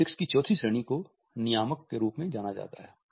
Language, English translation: Hindi, The fourth category of kinesics is known as a Regulators